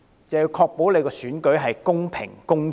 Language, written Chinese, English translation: Cantonese, 就是要確保選舉公平、公正。, To ensure that an election is fair and just